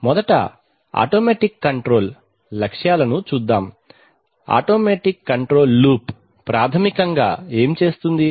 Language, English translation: Telugu, Let us first look at the automatic control objectives, what does an automatic control loop basically does